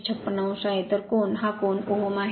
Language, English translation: Marathi, 156 degree right, so angle and it is ohm